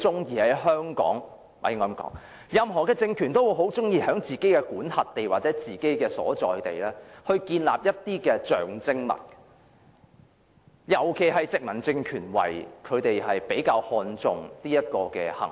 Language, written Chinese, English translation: Cantonese, 因為任何政權也很喜歡在自己的管轄地或所在地建立象徵物，尤其是殖民政權會比較看重這種行為。, Because every political regime likes to erect symbols in areas under its jurisdiction or on its own site . Colonial regimes would particularly attach greater importance to such an act